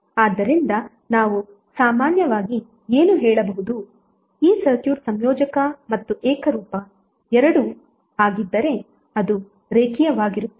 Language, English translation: Kannada, So what we can say in general this circuit is linear if it is both additive and homogeneous